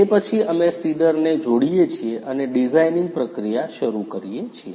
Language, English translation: Gujarati, After that we connect the seeder and start the designing process